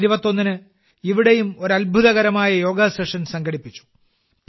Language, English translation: Malayalam, Here too, a splendid Yoga Session was organized on the 21st of June